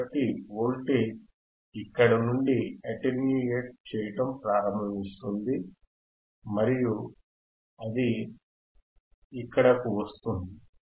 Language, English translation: Telugu, So, voltage starts attenuating where from here actually right and then it comes down here